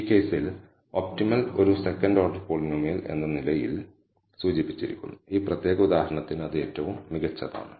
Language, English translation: Malayalam, So, the optimal in this case is also indicated as a second order polynomial is best for this particular example